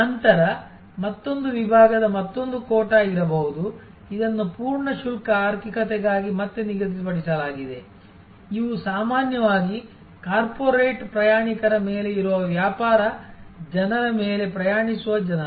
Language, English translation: Kannada, Then, there can be another section another quota, which is set aside for a full fare economy again these are usually people who are traveling on business people who are actually on corporate travelers